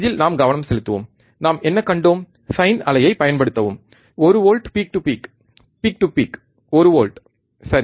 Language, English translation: Tamil, Concentrate on this what we have seen apply sine wave ok, one volt peak to peak, peak to peak is one volt, right